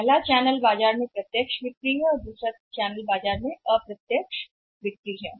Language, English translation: Hindi, One channel is the direct sales in the market and another channel indirect sales in the market